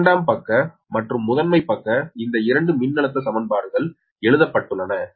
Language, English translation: Tamil, so secondary side and primary side, these two voltage equations are retained, right